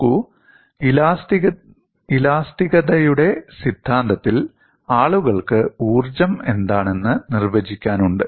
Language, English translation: Malayalam, See, in theory of elasticity, people have a definition of what is potential energy